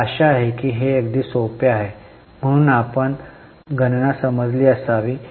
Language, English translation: Marathi, I hope it's very simple, so you would have understood the calculation